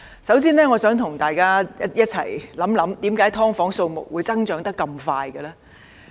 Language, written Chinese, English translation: Cantonese, 首先，我想與大家一同想想，為何"劏房"的數目會增長得如此快速？, First of all I invite Members to consider together why the number of subdivided units has increased so quickly